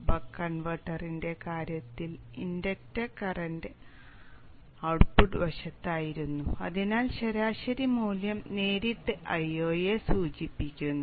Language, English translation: Malayalam, In the case the buck converter the inductor was on the output side and therefore the average value directly indicated I not